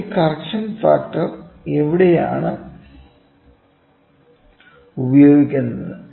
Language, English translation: Malayalam, So, now where is this correction factor used